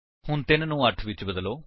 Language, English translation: Punjabi, So, change 3 to 8